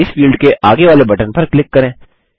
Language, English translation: Hindi, Now, click on button next to this field